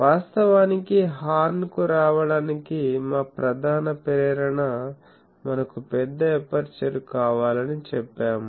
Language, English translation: Telugu, So, actually in order to have, we said that our main motivation for coming to horn is we want a large aperture